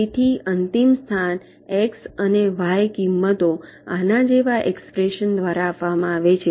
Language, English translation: Gujarati, so the final location is given by x and y values, by expressions like this